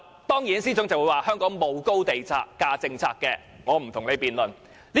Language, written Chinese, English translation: Cantonese, 當然，司長會說香港沒有高地價政策，我不跟他辯論。, Certainly the Financial Secretary will say that the Government has not adopted high land premium policy and I will not argue with him